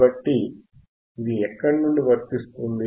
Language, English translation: Telugu, So, from where will apply